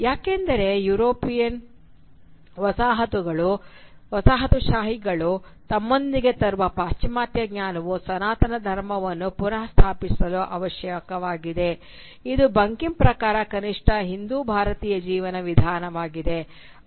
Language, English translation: Kannada, This is because the Western knowledge, that the European colonisers bring with them, is essential for the reestablishment of the sanatan dharma which, according to Bankim at least, is the true Hindu/Indian way of life